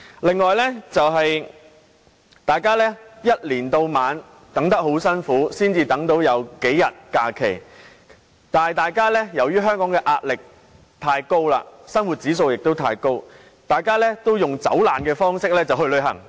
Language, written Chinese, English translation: Cantonese, 此外，大家由年頭到年尾苦苦等待，才有數天假期，但由於香港的壓力和生活指數太高，大家均以"走難"方式去旅行。, And we wait patiently from the beginning to the end of the year for several days of leave but as the pressure of life and the cost of living are too high in Hong Kong we all join tours and flee Hong Kong